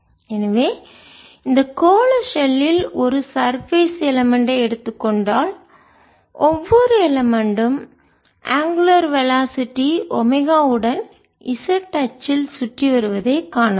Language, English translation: Tamil, so if we take a surface element on this spherical shell we can see that every element is moving around the z axis with the angular velocity omega